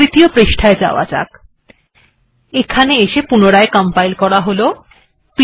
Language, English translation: Bengali, Now we go to third page, if I compile it once again